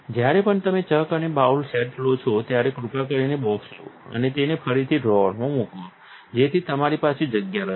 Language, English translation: Gujarati, Whenever, you have taking the chucks and the bowl set, please take the box and put it back into the drawer so that you have room